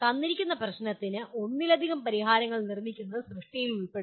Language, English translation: Malayalam, Creation involves producing multiple solutions for a given problem